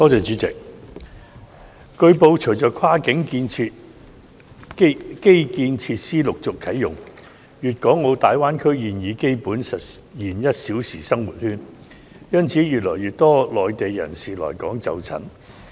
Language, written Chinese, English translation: Cantonese, 主席，據報，隨着跨境基建設施陸續啟用，粵港澳大灣區現已基本實現"一小時生活圈"，因此越來越多內地人士來港就診。, President it has been reported that with the successive commissioning of cross - boundary infrastructure facilities a one - hour living circle has basically been realized in the Guangdong - Hong Kong - Macao Greater Bay Area . As a result more and more Mainlanders come to Hong Kong to seek medical treatment